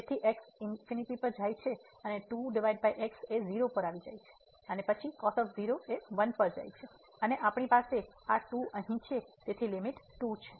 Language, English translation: Gujarati, So, goes to infinity over goes to 0 and then goes to and we have this here so, the limit is